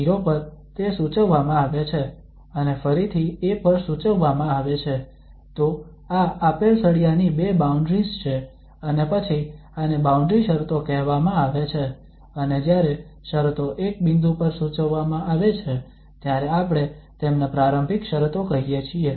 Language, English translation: Gujarati, At 0 it is prescribed and at a again it is prescribed so these two boundaries of this given bar then this is called boundary conditions and when the conditions are prescribed at one point then we call this as initial condition